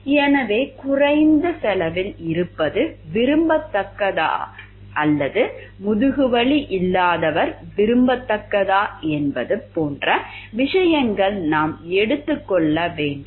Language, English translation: Tamil, So, should we take into this thing like whether low cost is more desirable or the person not having a backache is more desirable